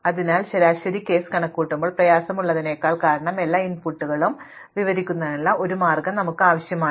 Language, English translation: Malayalam, So, the first reason why the average case is difficult to compute is, because we need to have a way of describing all possible inputs